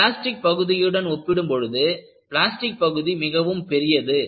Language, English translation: Tamil, A plastic region is, very large in comparison to elastic region